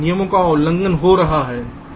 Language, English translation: Hindi, some rules are getting violated